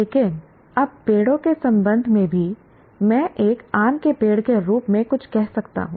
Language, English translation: Hindi, But now even with respect to trees, I can call something as a mango tree